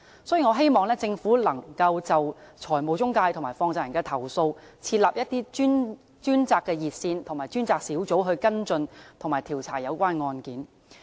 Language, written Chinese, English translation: Cantonese, 所以，我希望政府能夠就財務中介及放債人的投訴設立專責熱線和專責小組跟進及調查有關案件。, Therefore in respect of complaints against financial intermediaries and money lenders I hope that the Government can set up dedicated hotlines and task forces to follow up and conduct inquiries into the relevant cases